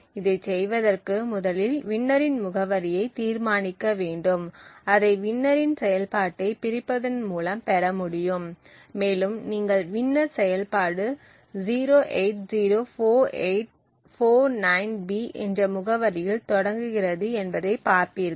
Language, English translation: Tamil, In order to do this we would first require to determine the address of winner so that would can be obtained by disassemble of the winner function and you would see that the winner function starts at the address 0804849B, so we could actually write this down somewhere